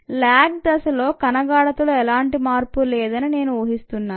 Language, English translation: Telugu, ok, i am assuming that a there is no change in cell concentration in the lag phase